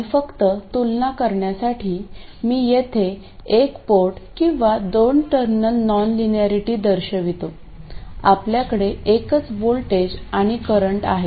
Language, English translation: Marathi, And just for comparison I will show the single port or a 2 terminal non linearity here, we have a single voltage and a current